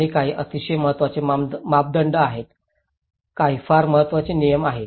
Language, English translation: Marathi, And some are very important norms, some are very unimportant norms